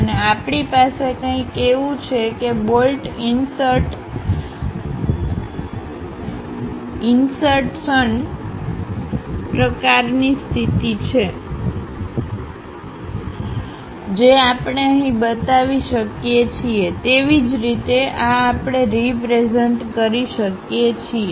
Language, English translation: Gujarati, And we have something like a bolt insertion kind of position, that we can represent it here; similarly, this one we can represent it there